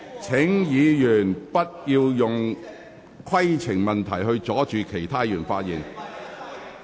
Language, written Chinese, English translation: Cantonese, 請議員不要再藉提出規程問題，阻礙其他議員發言。, Will Members please stop raising points of order to impede the speeches of other Member